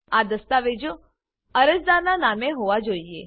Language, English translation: Gujarati, These documents should be in the name of applicant